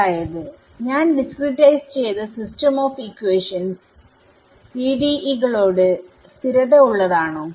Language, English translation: Malayalam, Means this system of equations, which is I have discretized, is it consistent with the actual PDEs